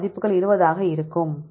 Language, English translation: Tamil, So, we get values will be 20